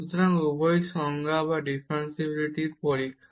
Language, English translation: Bengali, So, the both are equivalent definition or testing for differentiability